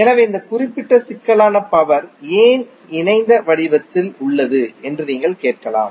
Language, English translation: Tamil, So you may ask that why this particular complex power is in the form of conjugate